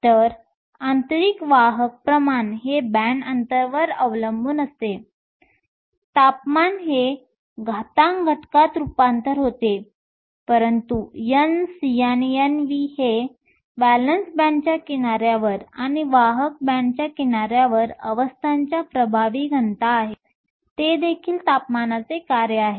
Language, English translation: Marathi, So, the intrinsic carrier concentration depends exponentially on the band gap; the temperature term enters in this exponential factor, but N c and N v which are the effective density of states at the valance band edge and the conduction band edge are also a function of temperature